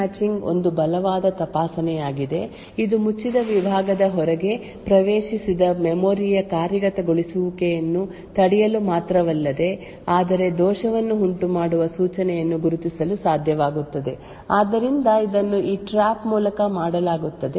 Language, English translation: Kannada, In other words the Segment Matching is a strong checking, it is not only able to prevent execution or memory accesses outside the closed compartment that is defined but it is also able to identify the instruction which is causing the fault, so this is done via the trap